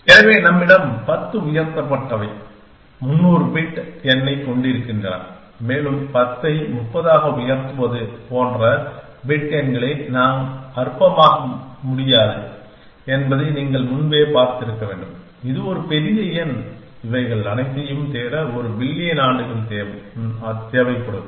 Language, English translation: Tamil, So, we have a 10 raised to 300 bit number essentially and we you has to see in earlier that we cannot trifled bit numbers like 10 raise to 30, it is it is a huge number, little take a billions of years to search through all these things